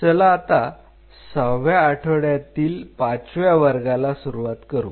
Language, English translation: Marathi, Let us start the fifth class of sixth week